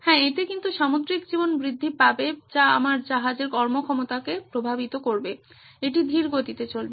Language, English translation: Bengali, Yeah, for that but there is marine life growth which affects my ships performance, it’s going slower